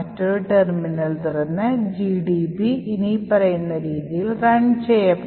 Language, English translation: Malayalam, So, will open another terminal and run GDB as follows